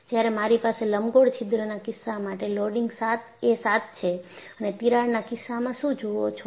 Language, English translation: Gujarati, And when I have the loading is 7 for the case of an elliptical hole and what you see in the case of a crack